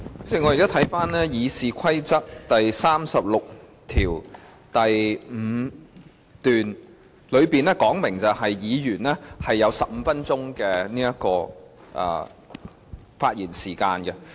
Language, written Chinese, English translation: Cantonese, 主席，我剛翻查了《議事規則》第365條，當中訂明議員會有15分鐘的發言時間。, President I have just looked up Rule 365 of the Rules of Procedure RoP which specifies that Members can make a speech lasting 15 minutes